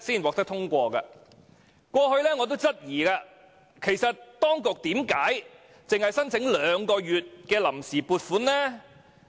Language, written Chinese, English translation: Cantonese, 我過去曾質疑當局為何只申請兩個月的臨時撥款。, I have previously queried why the authorities had only sought funds on account for two months